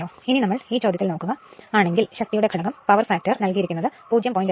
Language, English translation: Malayalam, So, if you look into this problem that your power factor is given 0